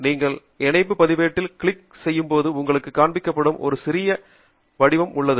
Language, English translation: Tamil, and this is how it looks like: when you click on the link register, there is a small form that will be shown to you